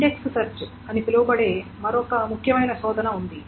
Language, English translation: Telugu, There is another important kind of search which is called the index search